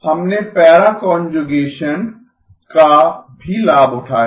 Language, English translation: Hindi, We have also leveraged para conjugation